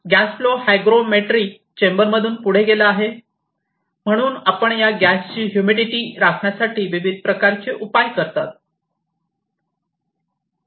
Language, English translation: Marathi, And this past through a hygrometry chamber, so you use different types of solutions to maintain the humidity of this gas